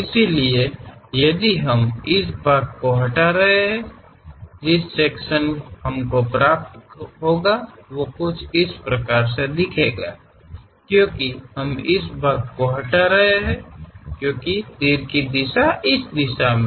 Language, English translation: Hindi, So, if we are removing, this part, the section what we are going to get is these views; because we are removing this part, because arrow direction is in this direction